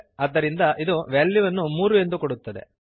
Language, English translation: Kannada, Hence this will give the value as 3